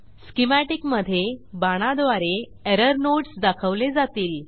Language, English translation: Marathi, In the schematic, the error nodes are pointed by arrows